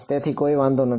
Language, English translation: Gujarati, So, does not matter